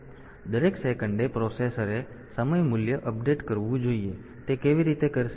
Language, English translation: Gujarati, So, every second the processor should update the time value, and how will it do it